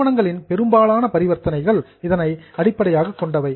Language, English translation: Tamil, Most of the transactions of companies are based on these transactions